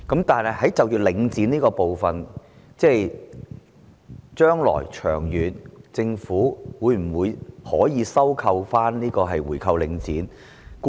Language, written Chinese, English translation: Cantonese, 但是，就領展這部分，將來長遠而言，政府會否、能否回購領展的物業？, But with regard to Link REIT in the long term will the Government or can the Government buy back the properties of Link REIT?